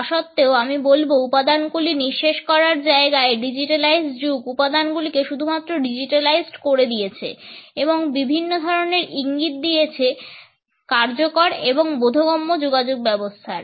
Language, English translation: Bengali, However, I would say that instead of killing these aids that digitalised age has only digitalised these aids and it has provided us a different set of cues for effective and intelligible communication